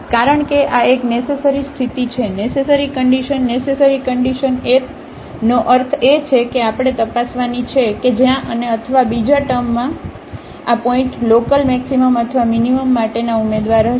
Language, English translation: Gujarati, Because this is a necessary condition, necessary conditions means that this is the first condition we have to check where and or in other words these points will be the candidates for the local maximum or minimum